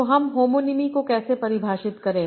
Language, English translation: Hindi, So how do I define homonymy